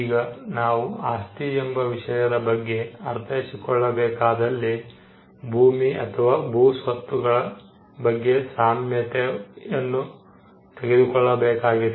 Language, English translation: Kannada, Now, to understand the concept of property, we need to take the analogy of land or landed property